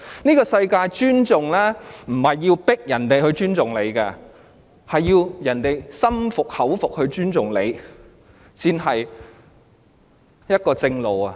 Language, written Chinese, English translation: Cantonese, 這個世界上，不是要迫人尊重你，而是要人心服口服地尊重你，這才是正路。, In this world respect is not earned by force but accorded by people when they are sincerely convinced . This is the way